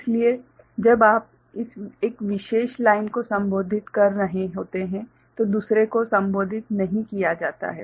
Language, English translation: Hindi, So, when you are addressing this one this particular line of course, the others ones are not addressed